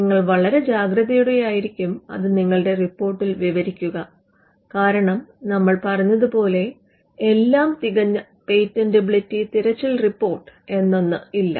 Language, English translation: Malayalam, You always cautiously describe your report, because you as we said there is no such thing as a perfect patentability search report